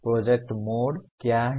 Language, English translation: Hindi, What is project mode